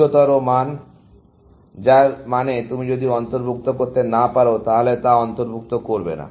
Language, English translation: Bengali, Higher estimates, which means, if you cannot include something, then do not include it